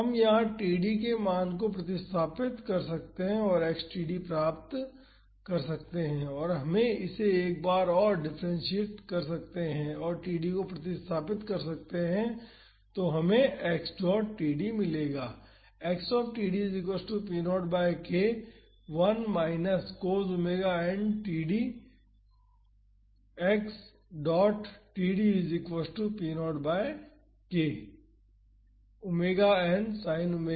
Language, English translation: Hindi, We can substitute the value of td here and get x td and we can differentiate it once and substitute td and we will get x dot td